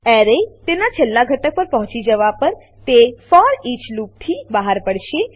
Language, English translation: Gujarati, Once the array reaches its last element, it will exit the foreach loop